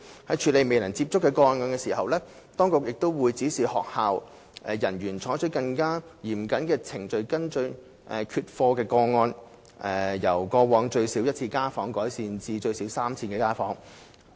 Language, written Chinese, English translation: Cantonese, 在處理"未能接觸"的個案時，當局會指示學校人員採取更嚴謹的程序跟進缺課個案，由過往最少1次家訪，增加至最少3次家訪。, In dealing with cases involving students whom cannot be reached the authorities will instruct school personnel to take a more stringent step of increasing the frequency of home visit from at least once in the past to at least three times in following up non - attendance cases